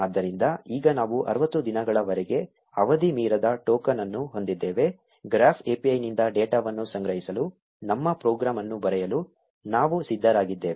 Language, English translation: Kannada, So, now that we have a token that does not expire for 60 days, we are all set to write our program to collect data from the Graph API